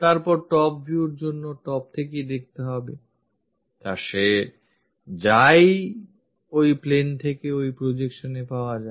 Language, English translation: Bengali, Then, to look at top view, he has to go observe the from top side whatever this projection he is going to get onto that plane